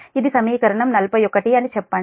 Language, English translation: Telugu, say, this is equation forty two